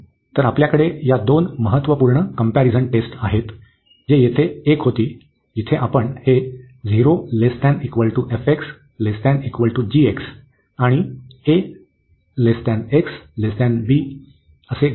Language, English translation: Marathi, So, we have these two important comparison test, so which was one here, where we take this f x greater than 0, and the g x greater than equal to f x